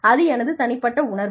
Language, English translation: Tamil, That is my personal feeling